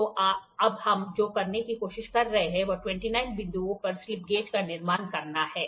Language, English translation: Hindi, So, now, what we are trying to do is we are trying to build slip gauges for 29 point